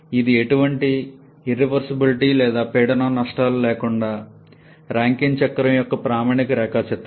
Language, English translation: Telugu, This is the standard diagram for a Rankine cycle without any irreversibilities or pressure losses